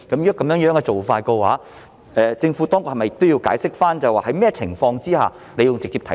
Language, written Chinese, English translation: Cantonese, 如果這樣做，政府當局是否也要解釋，在甚麼情況之下要直接提述？, If this approach is put into practice should the Administration also explain under what circumstances a direct reference is necessary?